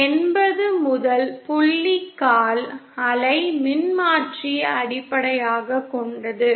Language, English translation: Tamil, 1 is the first point will be based on a quarter wave transformer